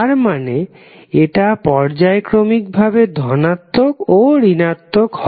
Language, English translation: Bengali, So, that means it will alternatively become positive and negative